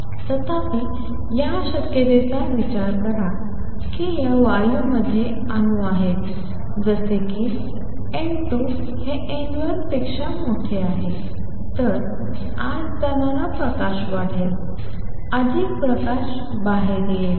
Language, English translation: Marathi, Consider the possibility however, that this gas has atoms such that N 2 is greater than N 1 then light which is going in will get amplified; more light will come out